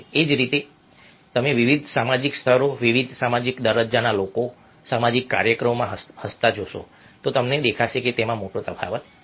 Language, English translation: Gujarati, in the same way, if you are looking at different social stator, people from different social status smiling in social events, we will find that is